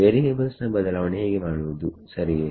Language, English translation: Kannada, How to do change of variables right